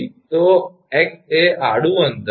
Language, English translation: Gujarati, So, x is the horizontal distance